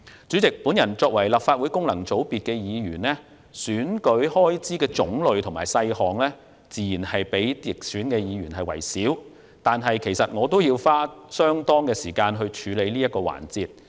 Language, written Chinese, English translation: Cantonese, 主席，我作為立法會功能界別議員，選舉開支的種類和細項，自然較直選議員少，但我也要花費相當時間處理這些事項。, President as a Legislative Council Member from a functional constituency FC I naturally have fewer types and items of election expenses than that of Members returned from geographical constituencies . Yet I still have to spend considerable time handling these matters